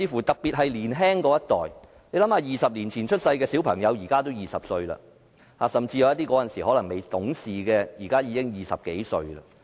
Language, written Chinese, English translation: Cantonese, 特別是年青一代，想想20年前出生的小朋友，現在20歲了，甚至那時候有些可能未懂事的，現在已經20多歲。, The younger generation is particularly concerned . For the children born 20 years ago they are 20 years old now . For those children who did not know much at that time they are already more than 20 years old now